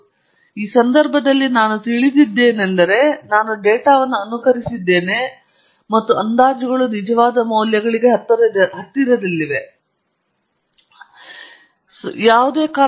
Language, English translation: Kannada, In this case, I know the truth because I have simulated the data and the estimates are quite close to the true values; you can never expect them to be exactly equal for obvious reasons